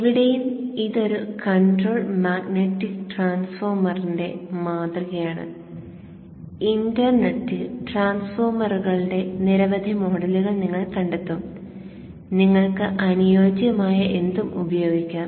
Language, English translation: Malayalam, Anyway, this is the model of an electromagnetic transformer and you will find many models of transformers in the internet